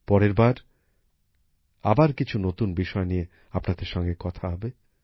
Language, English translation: Bengali, See you next time, with some new topics